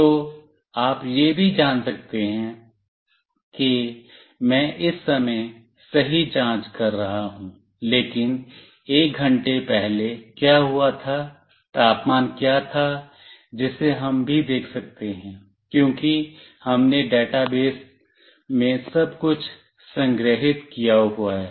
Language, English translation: Hindi, So, you can also find out let us say I am checking right at this moment, but what happened to one hour before, what was the temperature that also we can see, because we have stored everything in the database